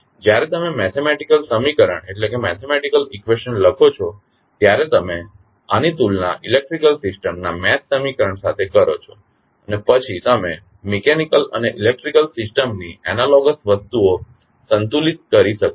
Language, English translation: Gujarati, So, when you write the mathematical equation you will compare this with the mesh equation of the electrical system and then you can stabilize the analogous quantities of mechanical and the electrical system